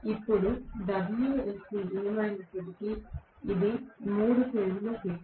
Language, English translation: Telugu, Now, whatever is wsc this is the 3 phase power